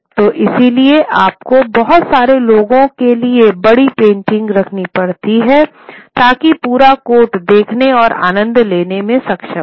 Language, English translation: Hindi, So therefore you had to have large paintings for a lot of people to the entire court to be able to watch and see and enjoy